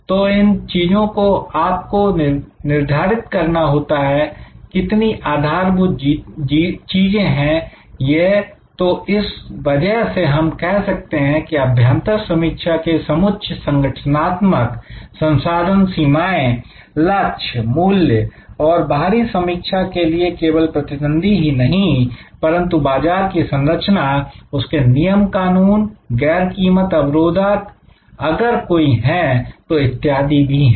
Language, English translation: Hindi, So, these things you have to determine, so fundamental; that is why say that there is a set of internal analysis, organizations resources, limitations, goals, values and you have to external analysis not only the competitor, but also the structure of the market the rules and regulations, non price barriers if any and so on